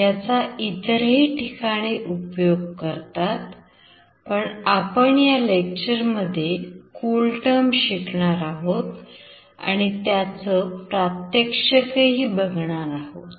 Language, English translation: Marathi, There are other applications as well, but we have considered CoolTerm in this particular lecture